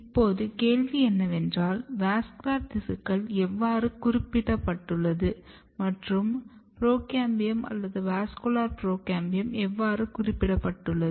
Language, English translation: Tamil, So, the question is that how this vascular tissues are specified, how procambiums or vascular procambiums are specified